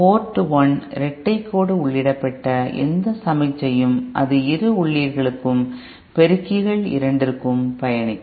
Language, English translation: Tamil, Any signal that is inputted at Port 1 double dash, it will travel to both the inputs, both the amplifiers